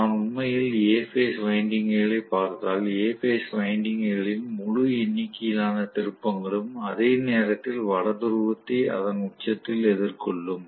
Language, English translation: Tamil, So, if I look at actually A phase winding, A phase winding the entire number of turns are going to face the North Pole at its peak at the same instant